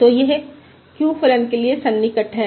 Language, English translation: Hindi, So this is the approximation for the q function